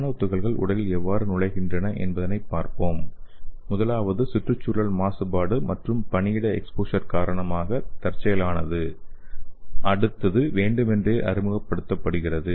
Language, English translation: Tamil, So let us see how the nano particles would enter the body, the first one is accidently so it may be due to environmental contamination and work place exposure, the next one is deliberately introduced